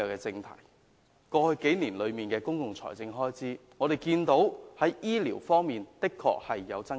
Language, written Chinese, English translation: Cantonese, 就過去數年的公共財政開支而言，醫療方面的確有所增加。, The public expenditure on health care in the past four years has been on the increase